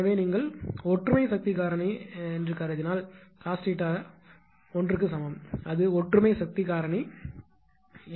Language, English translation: Tamil, So, if you assume that unity power factor case say ah say a cos theta is equal to 1; that is unity power factor case